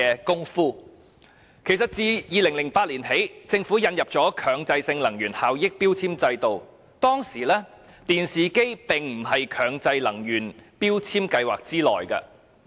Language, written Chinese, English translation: Cantonese, 政府自2008年開始引入強制性標籤計劃，但當時電視機並不在計劃內。, The Government has implemented MEELS since 2008 but TVs were not covered at that time